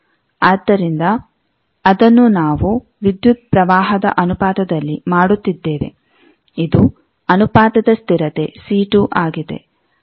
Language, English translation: Kannada, So, that we are making proportional to the current, this is the proportionality constant is c two